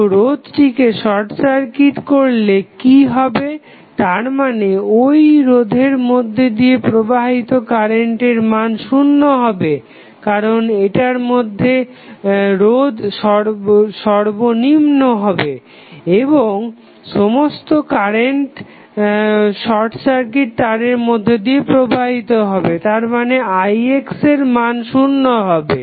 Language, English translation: Bengali, So, what happens when you short circuit resistance that means that the current flowing through resistance will be 0, because this will have the least resistance and whole current will pass through the short circuit wire that means that the value of Ix would be equal to 0